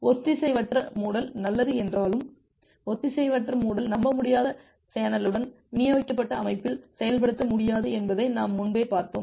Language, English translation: Tamil, And as we have seen earlier that although asynchronous closure is good, but asynchronous closure is not possible to implement in a distributed system with unreliable channel